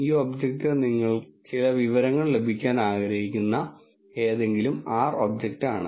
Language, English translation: Malayalam, This object is any R object about which you want to get some information